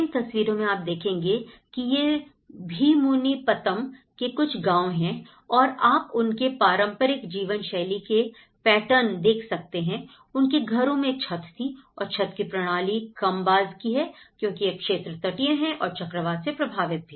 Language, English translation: Hindi, If you look there is, these are some of the villages called Bheemunipatnam and you can see the traditional patterns of living, they have the thatched roof systems, which have a very low eaves because of the cyclone affected areas and the coastal areas